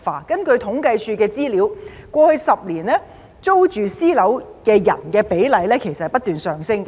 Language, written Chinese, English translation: Cantonese, 根據政府統計處的資料，過去10年，租住私人物業的人的比例不斷上升。, According to the information of the Census and Statistics Department the percentage of people renting private residential properties has increased continuously over the past decade